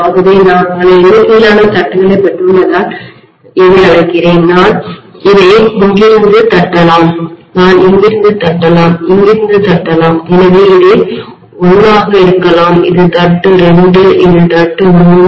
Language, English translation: Tamil, So I am calling it as I have got multiple number of taps, I may tap it from here, I may tap it from here, I may tap it from here, so I can call this as may be 1, this is tap 2, this is tap 3